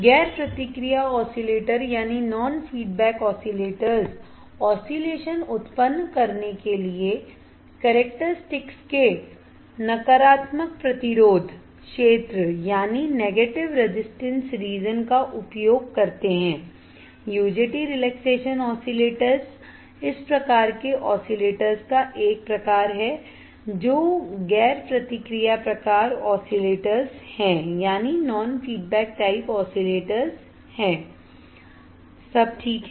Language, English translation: Hindi, The non feedback oscillators use the negative resistance region of the characteristics used to generate the oscillation, the UJT relaxation oscillator type of oscillator is type of this example of such type of oscillator which is the non feedback type oscillator, all right